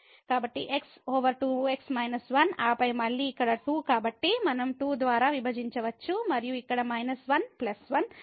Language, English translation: Telugu, So, over 2 minus 1 and then again here the 2 so, we can divided by 2 and here minus 1 plus 1